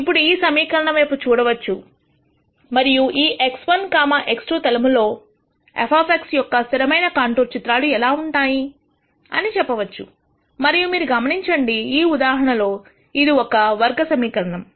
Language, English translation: Telugu, Then I can look at this equation and then say how would this constant contour plot for f of X look in the x 1, x 2 plane and you would notice that this is quadratic in this case